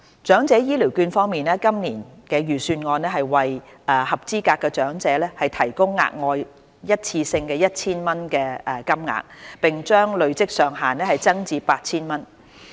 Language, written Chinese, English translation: Cantonese, 長者醫療券方面，今年財政預算案會為合資格長者提供額外一次性 1,000 元金額，並將累積上限增至 8,000 元。, On Elderly Health Care Vouchers EHVs an additional 1,000 worth of EHVs will be provided on a one - off basis to each eligible elderly person whereas the accumulation limit of EHVs will also be increased to 8,000 as set out in this years Budget